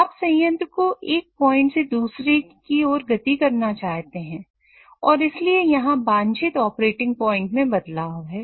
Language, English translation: Hindi, So you want a plan to move from one point to the other and thus there are changes in the desired operating point